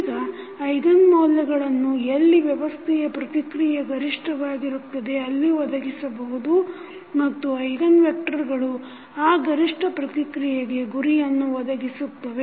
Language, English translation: Kannada, Now, eigenvalues provide where the response of the system is maximum and eigenvectors provide the direction of that maximum response